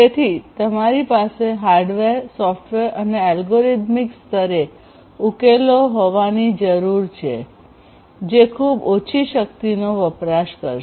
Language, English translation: Gujarati, So, what you need to have is to have solutions at the hardware and the software and the algorithmic level which will consume very very low power